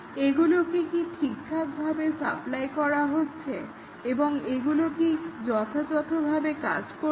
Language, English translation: Bengali, And, whether these have been supplied and whether these function properly